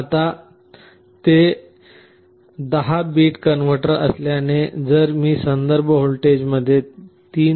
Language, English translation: Marathi, Now, since it is a 10 bit converter, if I connect a 3